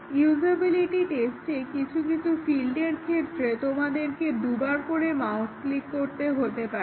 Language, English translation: Bengali, Was it that in the usability test, in some fields, you have to the click the mouse twice